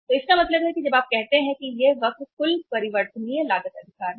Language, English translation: Hindi, So it means when you say that this curve is total variable cost right